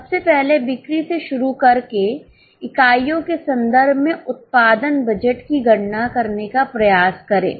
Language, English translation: Hindi, Firstly starting with the sales try to compute the production budget in terms of units